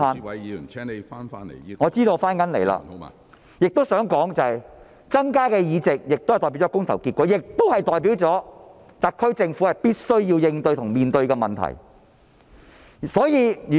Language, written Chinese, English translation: Cantonese, 我想指出，民主派增加了議席將代表市民的公投結果，亦代表特區政府必須面對及處理問題。, I would like to point out that if the democrats could have more seats it would represent peoples choices and would also mean that the SAR Government must face and deal with the issues